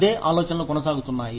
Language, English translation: Telugu, The same ideas, are going on and on